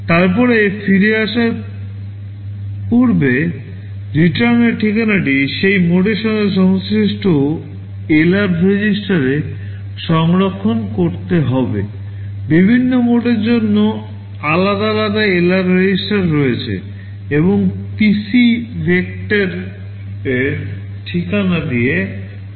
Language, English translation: Bengali, Then before coming back the return address will have to store in LR register corresponding to that mode, there are separate LR registers for the different modes and PC is loaded with the vector address